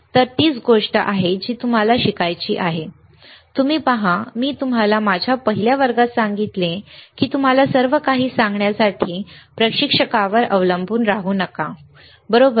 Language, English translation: Marathi, So, that is the same thing that you have to learn, you see, I told you in my first class, that do not rely on instructor to tell you everything, right